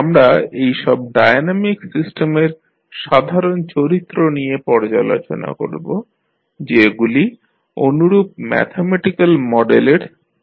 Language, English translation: Bengali, We will review the basic properties of these dynamic systems which represent the similar mathematical models as we saw in case of electrical circuits